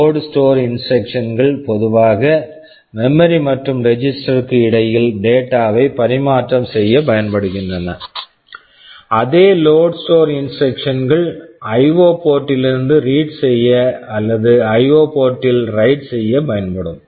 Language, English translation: Tamil, Say load store instructions are typically used to transfer data between memory and register, the same load store instructions will be used for reading from IO port or writing into IO ports